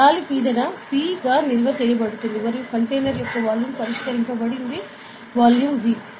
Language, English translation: Telugu, Air is stored as a pressure P and the volume of the container is fixed say volume V ok